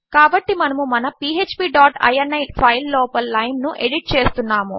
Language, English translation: Telugu, So we are editing this line inside our php dot ini file